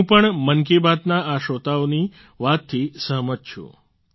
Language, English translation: Gujarati, I too agree with this view of these listeners of 'Mann Ki Baat'